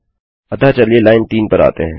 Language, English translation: Hindi, So lets come to line 3